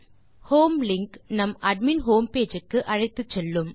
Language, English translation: Tamil, The home link takes us to the admin home page